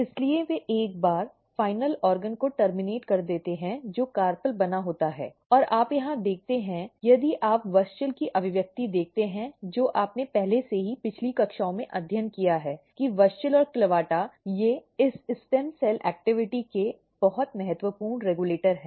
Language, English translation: Hindi, So, they basically terminate once final organ which is carpel is made and you see here if you look the expression of WUSCHEL which you have already studied in previous classes that WUSCHEL and CLAVATA they are very important regulator of this stem cell activity